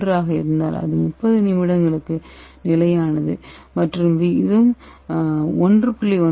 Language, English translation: Tamil, 1 it is stable for 30 minutes and if the ratio is 1